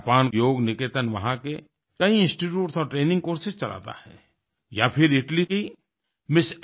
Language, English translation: Hindi, Japan Yoga Niketan runs many institutes and conducts various training courses